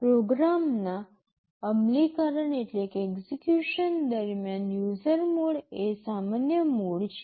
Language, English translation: Gujarati, The user mode is the normal mode during execution of a program